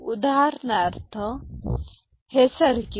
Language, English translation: Marathi, So, for example; this circuit